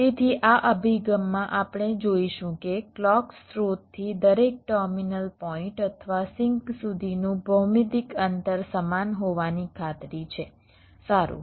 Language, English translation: Gujarati, so in this approach we shall see that the distance, the geometric distance, from the clock source to each of the terminal points or sling sinks is guaranteed to be the same